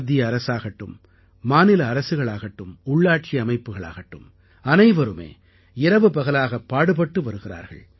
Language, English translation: Tamil, From the centre, states, to local governance bodies, everybody is toiling around the clock